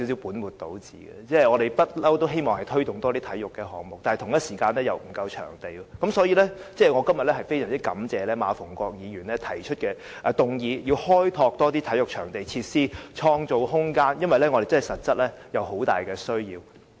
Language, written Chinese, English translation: Cantonese, 我們一向都希望推動多些體育項目，但場地供應卻不足，所以，我非常感謝馬逢國議員今天提出議案，促請政府要開拓更多體育場地和設施，創造空間，因為我們在這方面實在有很大的需求。, We have always wanted to promote more sports and yet there is a shortage of venues . So I am really grateful to Mr MA Fung - kwok for proposing this motion today to urge the Government to develop more venues and facilities for sports and to create room . Truly we have an immense demand for these